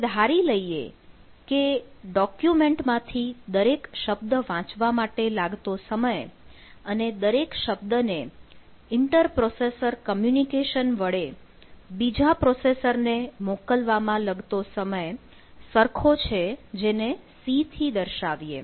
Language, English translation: Gujarati, say, if, let us assume that time to read each word from the document equal to time to send the word to another processor via inter processor communication and equals to c